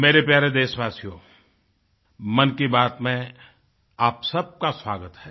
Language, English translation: Hindi, My dear countrymen, welcome to 'Mann Ki Baat'